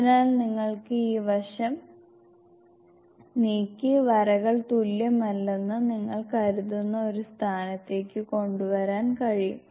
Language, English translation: Malayalam, So you can move this side and bring it to a point where you think the lines are not equal